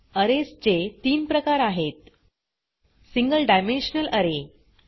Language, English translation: Marathi, There are three types of arrays: Single dimensional array